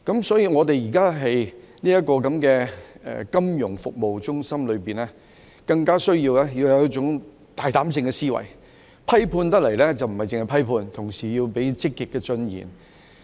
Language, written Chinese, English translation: Cantonese, 所以，我們現時的金融服務中心，更加需要有一種大膽思維，批判時不單是批判，同時也要提出積極的進言。, Hence with our present status as a financial services centre it is all the more necessary for us to think big . When criticizing anything we should not only level criticisms but also put forward positive propositions